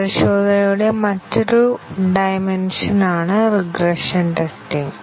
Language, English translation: Malayalam, Regression testing is a different dimension of testing